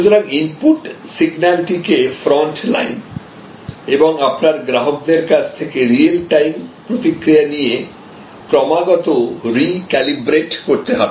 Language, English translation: Bengali, So, the input signal therefore continuously must be recalibrated with real time feedback from your front line and from your customers